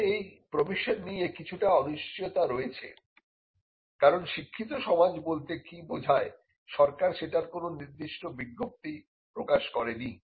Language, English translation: Bengali, Now, there is some uncertainty on this provision because one, what the government has notified as a learned society is not really clear